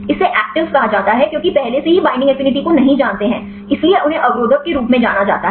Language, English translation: Hindi, This are called actives because already known the do not binding affinity; so they known as inhibitors